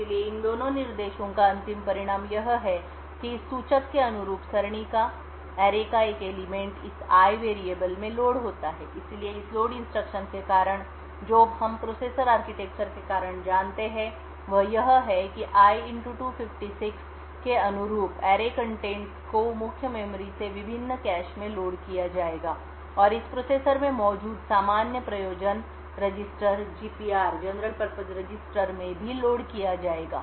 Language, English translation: Hindi, Therefore, the end result of these two instructions is that corresponding to this pointer one element of the array is loaded into this variable called i, so due to this particular load what we know due to the processor architecture is that the contents of the array corresponding to i * 256 would be loaded from the main memory into the various caches and would also get loaded into one of the general purpose registers present in the processor